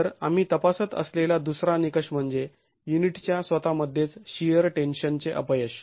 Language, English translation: Marathi, So, the second criterion that we were examining was the sheer tension failure in the unit itself